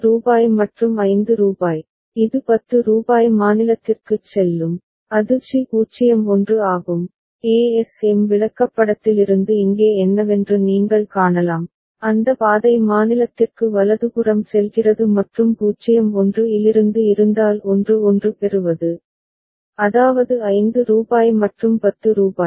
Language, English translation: Tamil, Rupees 5 and rupees 5, it will go to rupees 10 state that is c that is 1 0, you can see what here from the ASM chart, we can figure it out that path leads to state c right and from 0 1 if it is receiving a 1 1 that means, rupees 5 and rupees 10